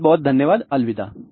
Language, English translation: Hindi, Thank you very much, bye